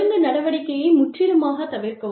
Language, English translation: Tamil, Avoid disciplinary action, entirely